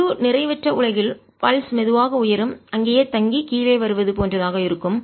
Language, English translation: Tamil, in non ideal world the pulse would be more like slowly rising, going, staying there and coming down